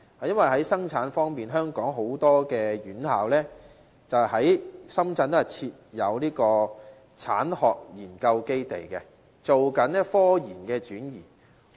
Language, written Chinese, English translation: Cantonese, 因為在生產方面，香港很多院校都在深圳設有產學研究基地，進行科研轉移。, In terms of production many Hong Kong institutions have set up trade and academia joint research bases in Shenzhen for scientific research transfer